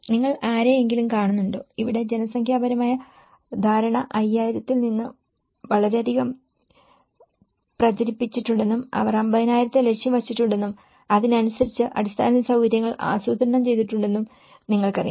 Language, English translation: Malayalam, Do you see any people, you know here the demographic understanding has been hyped a lot from 5,000 and they have aimed for 50,000 and the infrastructure is planned accordingly